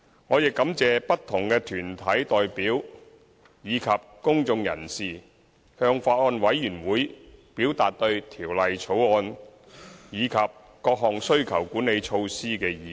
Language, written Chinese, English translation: Cantonese, 我亦感謝不同團體代表及公眾人士向法案委員會表達對《條例草案》及各項需求管理措施的意見。, I would also like to thank different deputations and individuals for providing to the Bills Committee their views on the Bill and various demand - side measures